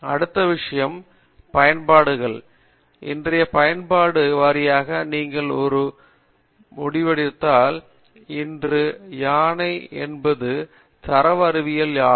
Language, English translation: Tamil, The next thing is applications, today application wise if you look there are two ends, one is an elephant namely data sciences